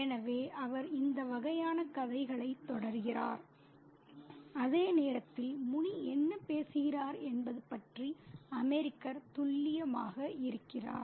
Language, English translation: Tamil, So, he continues that narrative of this kind, whereas the American is clueless about what Muni is talking about